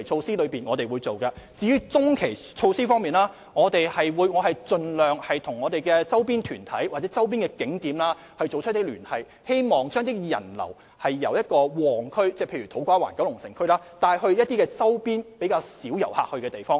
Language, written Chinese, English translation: Cantonese, 至於中期措施，我們會盡量與周邊團體或周邊景點聯繫，希望將人流由旺區，例如土瓜灣和九龍城，帶到周邊較少遊客前往的地方。, As for medium - term measures we will try to liaise with organizations or tourist attractions in neighbouring places so as to divert visitors from popular districts such as To Kwa Wan and Kowloon City to neighbouring places with fewer visitors . For example this is a picture of the nearby Kai Tak Cruise Terminal